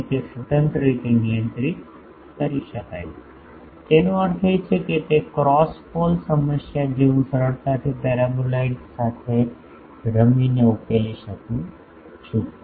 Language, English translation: Gujarati, So, that can be controlled independently the; that means, the cross pole problem that I can easily tackled by the playing with the paraboloid